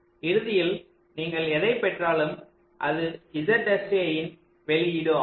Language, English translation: Tamil, so at the end, whatever you get, that is the output of z, s, a